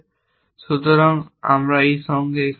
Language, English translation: Bengali, So, we will stop here with this